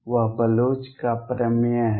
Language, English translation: Hindi, That is the Bloch’s theorem